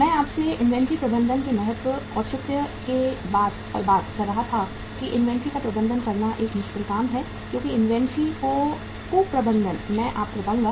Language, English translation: Hindi, I was talking to you the the importance, the rationale of the inventory management that it is a difficult task to manage the inventory because the mismanagement of inventory I would tell you